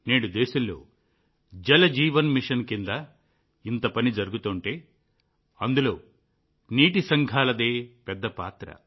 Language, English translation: Telugu, Today, if so much work is being done in the country under the 'Jal Jeevan Mission', water committees have had a big role to play in it